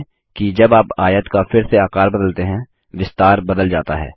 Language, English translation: Hindi, Note that when we re size the rectangle again, the dimensions change